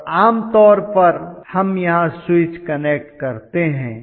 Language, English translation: Hindi, And generally what we try to do is to have a switch connected here